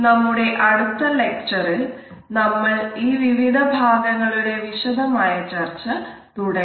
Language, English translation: Malayalam, In our next lecture we would begin our discussion of these different aspects gradually